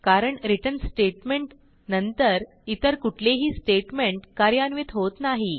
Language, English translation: Marathi, This is because after return statement no other statements are executed